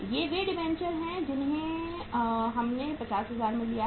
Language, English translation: Hindi, These are the debentures here we have taken for the 50,000